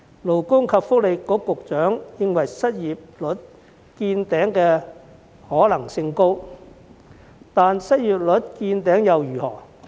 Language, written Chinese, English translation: Cantonese, 勞工及福利局局長認為失業率見頂的可能性高，但失業率見頂又如何？, The Secretary for Labour and Welfare suggested that the unemployment rate had probably peaked